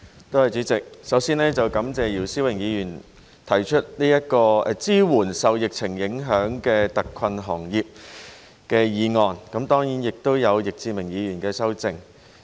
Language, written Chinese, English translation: Cantonese, 代理主席，首先感謝姚思榮議員提出"支援受疫情影響的特困行業"議案，以及易志明議員提出修正案。, Deputy President first of all I would like to thank Mr YIU Si - wing for proposing the motion on Providing support for hard - hit industries affected by the epidemic and Mr Frankie YICK for proposing his amendment